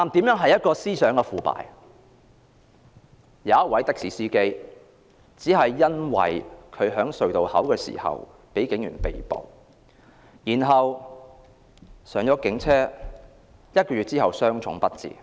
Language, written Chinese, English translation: Cantonese, 有一名的士司機在隧道的收費亭被警員拘捕，然後登上警車，在一個月後傷重不治。, After a taxi driver was arrested by police officers at the toll booth of a tunnel he boarded a police car . He then sustained serious injuries and died one month later